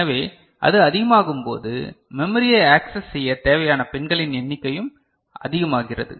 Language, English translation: Tamil, So, when it becomes higher, then the number of pins required to access the memory also becomes larger